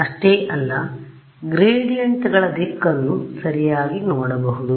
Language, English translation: Kannada, Not just that, I can also look at the direction of the gradients right